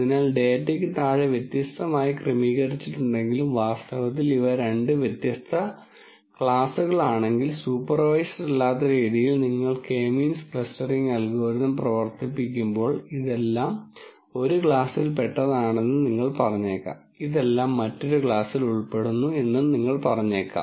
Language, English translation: Malayalam, So, though underneath the data is actually organized differently and if these happen to be two different classes in reality, in an unsupervised fashion when you run the K means clustering algorithm, you might say all of this belongs to one class, all of this belongs to another class, and all of this belongs to another class and so on so